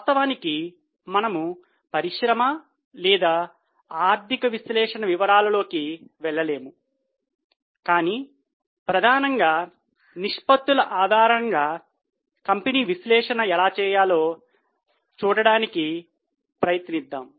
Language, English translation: Telugu, Of course, we will not be able to go into details of industry or economy analysis, but we would try to look at how to do company analysis mainly based on the ratios